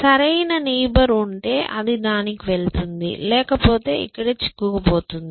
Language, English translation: Telugu, If there is a neighbor which is better, it goes to that, otherwise, it gets stuck